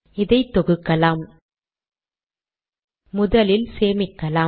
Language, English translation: Tamil, Lets compile this , Lets first save this